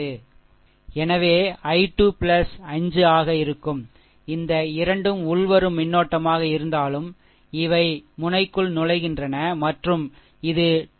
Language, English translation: Tamil, So, it will be i 2 plus 5, though this 2 are incoming current, these are ah entering into the node and is equal to your this 2 point this is a 2